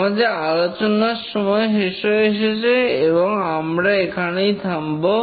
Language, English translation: Bengali, We are running out of time for this lecture and we will stop here